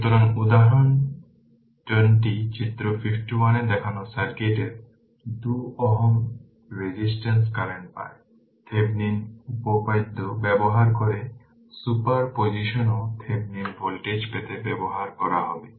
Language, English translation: Bengali, So, example 20 obtain the current in 2 ohm resistor of the circuit shown in figure 51, use Thevenin’s theorem also super position also you will use to get the Thevenin voltage